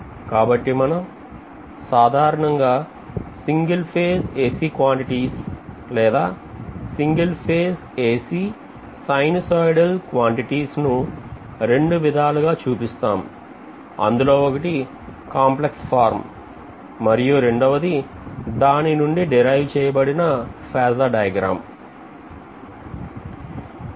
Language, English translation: Telugu, So in general single phase quantities when we look at single phase AC quantity or single phase sinusoidal AC quantities, they are represented mainly in two forms, one is in complex form and the complex form indicated is also indirectly translating into phasor diagram